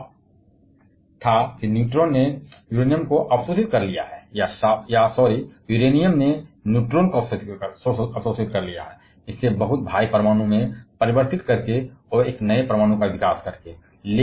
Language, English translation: Hindi, Their claim was neutron has absorbed the Uranium or sorry, Uranium has absorbed the neutron, there by converting it to much heavier atom, and developing a newer atom